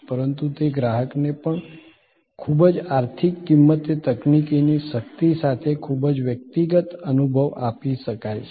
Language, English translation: Gujarati, But, even that customer can be given a very personalized experience with the power of technology at a very economic cost